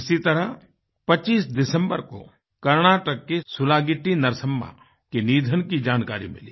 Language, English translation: Hindi, On similar lines, on the 25th of December, I learnt of the loss of SulagittiNarsamma in Karnataka